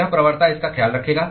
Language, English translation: Hindi, This gradient will take care of that